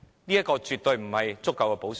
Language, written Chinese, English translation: Cantonese, 這些措施絕對不是足夠的補償。, These measures are by no means sufficient compensations